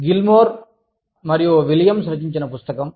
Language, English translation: Telugu, Book, by Gilmore & Williams